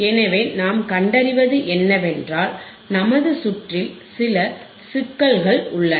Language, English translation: Tamil, So, what we find is, there is some problem with our circuit